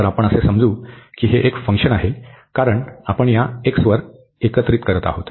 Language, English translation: Marathi, So, this we assume that this is a function of alpha, because we are integrating over this x